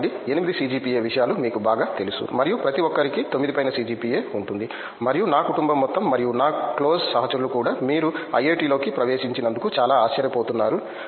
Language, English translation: Telugu, 5 to 8 CGPA things like that and you know on top of me like everyone will have CGPA of 9 and even my whole family and even my collage mates are very surprised that you got into IIT